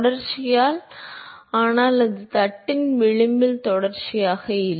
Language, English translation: Tamil, By continuity, but that is not continuous at the edge of the plate